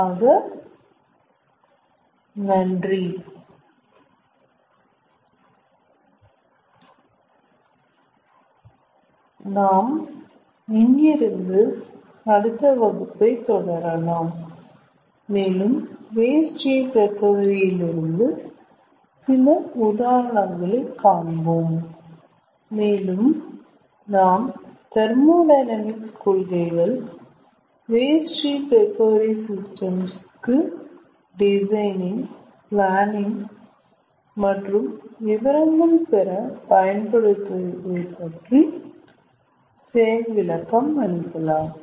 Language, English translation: Tamil, ah, in the next class we will take up some examples again from the domain of waste heat recovery and we will try to demonstrate how the principles of thermodynamics ah can be utilized for designing, planning, getting details of waste heat recovery systems